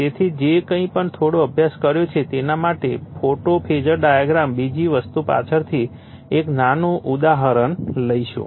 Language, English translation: Gujarati, So, just to whateveRLittle bit you have studied we will come to phasor diagram other thing later you take a small example